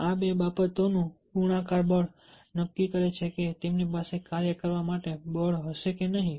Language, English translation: Gujarati, the multiplicative force of these two things decide whether he had the